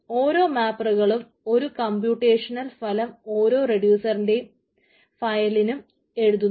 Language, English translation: Malayalam, so each mapper writes computational results in one file per reducer